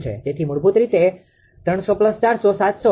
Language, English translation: Gujarati, So, basically it will be 300 plus 400, 700